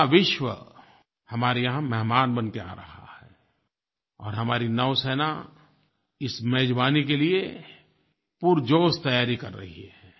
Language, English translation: Hindi, The entire world is coming and our navy is making a whole hearted effort to become a good host